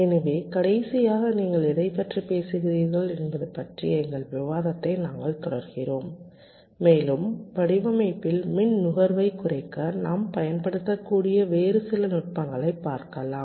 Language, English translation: Tamil, so we we basically continue with our discussion, what you are talking about last day, and look at some other techniques that we can employ or use for reducing the power consumption in design